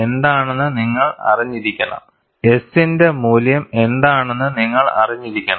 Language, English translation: Malayalam, And you have to know, what is the value of S